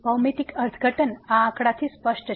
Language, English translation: Gujarati, The geometrical interpretation is as clear from this figure